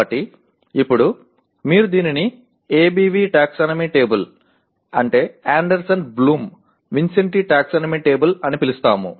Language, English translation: Telugu, So now you have we call it ABV taxonomy table, Anderson Bloom Vincenti taxonomy table